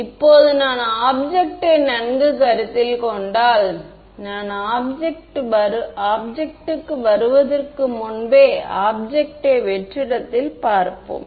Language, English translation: Tamil, Now, if I consider the object well before I come to object let us look at vacuum